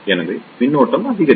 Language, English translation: Tamil, So, the current will increase